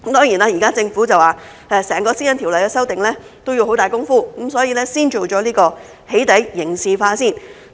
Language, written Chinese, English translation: Cantonese, 現時政府說修訂整項《私隱條例》要下很大工夫，所以先完成"起底"刑事化。, Now according to the Government since it will take a lot of work to amend the whole PDPO the Government will first finish criminalization of doxxing